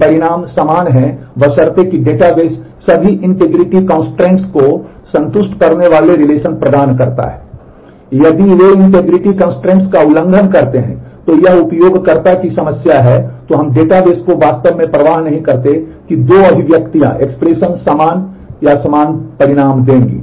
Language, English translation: Hindi, If they violate integrity constraints then it is a problem of the user then we the database really does not care if the two expressions will give equivalent or equal results